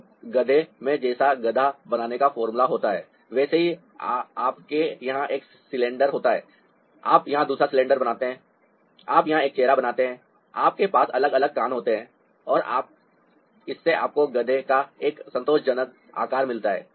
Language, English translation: Hindi, so in a donkey, ah, like the formula of making a donkey becomes like: you have a cylinder, here you make another cylinder, you make a face, here you have it has different ears, and that gives you a satisfactory shape of a donkey